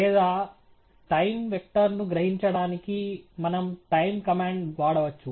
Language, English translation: Telugu, Or to extract the time vector we could use the time command